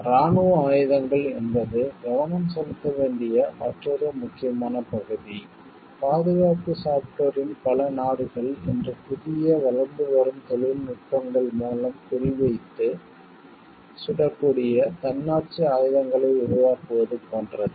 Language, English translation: Tamil, Military weapons this is another important area which needs to be focused is like, when we talk of defense software s many countries today are like creating autonomous weapons that can be aimed and fired on board through new emerging technologies